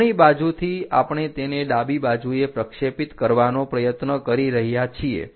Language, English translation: Gujarati, From right side we are trying to project it on to the left side